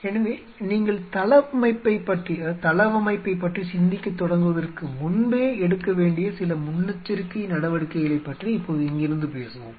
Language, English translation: Tamil, So, from here now we will talk about some of the precautionary measure what has to be taken even before you start thinking about the layout